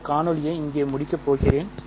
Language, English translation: Tamil, I am going to end this video here